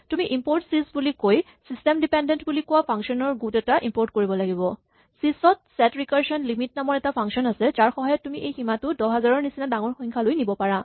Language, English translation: Assamese, You first have to import a bunch of functions which are called system dependent functions by saying import sys and then, in sys there is a function called set recursion limit and we can set this to some value bigger than this say 10000